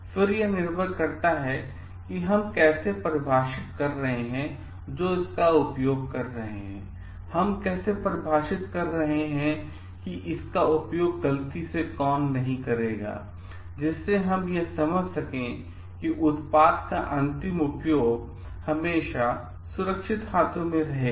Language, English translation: Hindi, Then it depends on how we are defining, who will be using it how we are defining, who will not be using it by mistake also, so that we understand the end use of the product will always being safe hands